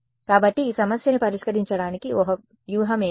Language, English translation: Telugu, So, what can be a strategy to solve this problem